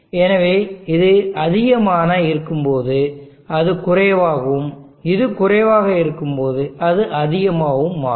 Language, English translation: Tamil, So when this is high this will become low, and when this is low that becomes high